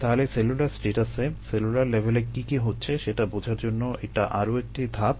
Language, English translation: Bengali, so that is one more step towards understanding what is happening at a cellular status, cellular level